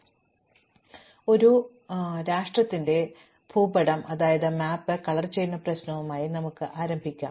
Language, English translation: Malayalam, So, let us start with the problem of coloring a political map